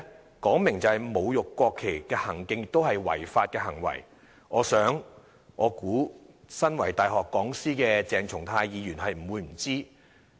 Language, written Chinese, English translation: Cantonese, 這說明了侮辱國旗的行徑是違法行為，我想身為大學講師的鄭松泰議員不會不知。, They tell us that insulting the national flag is illegal and I think Dr CHENG Chung - tai who is a university lecturer could not possibly be unaware of that